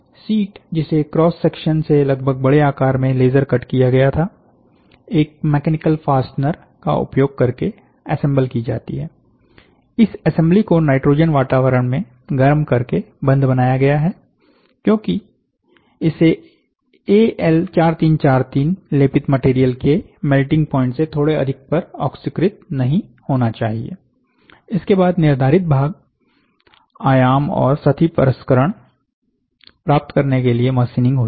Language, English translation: Hindi, The sheets for laser cut to an approximate, oversize to cross section, assembled using mechanical fasteners, bonded together by heating the assembly in a nitrogen atmosphere, because it should not get oxidized just above the melting point of Al 4343 coated material, and then finished machine to the prescribed part dimension and surface finish